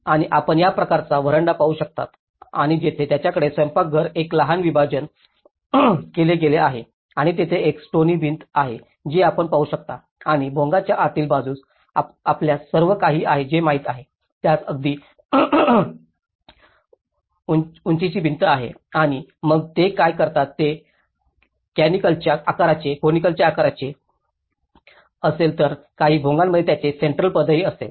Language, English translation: Marathi, And you can see this kind of veranda and where they have the kitchen has been made a small partition and there is a stone wall you can see and how the inside of the Bhongas you know it has all, it has a very low height wall and then what they do is if it is a conical shape, so, in some of the Bhongas it will have also the central post